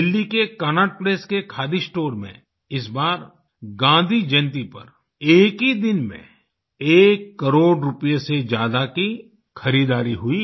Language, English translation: Hindi, This time on Gandhi Jayanti the khadi store in Cannaught Place at Delhi witnessed purchases of over one crore rupees in just a day